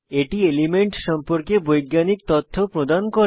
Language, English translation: Bengali, It provides scientific information about elements